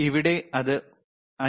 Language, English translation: Malayalam, Here it is 5